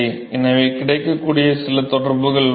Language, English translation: Tamil, So, there are some correlations which are available